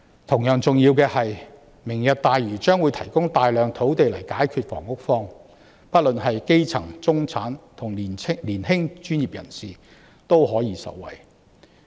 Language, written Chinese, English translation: Cantonese, 同樣重要的是，"明日大嶼願景"將會提供大量土地解決房屋荒，不論是基層、中產或年輕專業人士均可以受惠。, It is equally important that the Lantau Tomorrow Vision will supply large expanses of land to solve the housing shortage benefiting the grass roots the middle class and young professionals alike